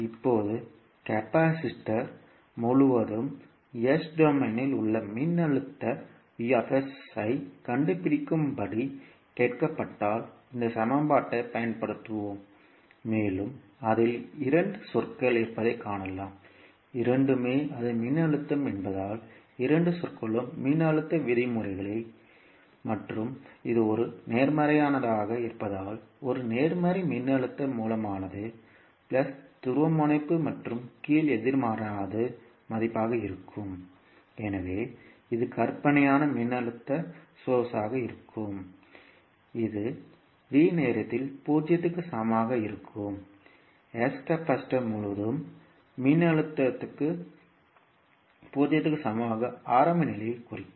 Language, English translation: Tamil, Now, when we are asked to find out the voltage vs in s domain across the capacitor so, we will use this equation and you can simply see that it contains two terms and both are since it is the voltage so, both terms can be a voltage terms and since it is a positive it means that a positive voltage source that is plus polarity on the top and negative at the bottom will be the value so, this will be the fictitious voltage source that is v at time is equal to 0 by s which will represent the initial condition that is the voltage across capacitor at time is equal to 0